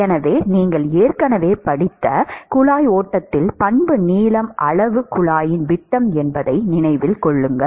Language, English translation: Tamil, So, note that in pipe flow which you have already studied the characteristic length scale is the diameter of the pipe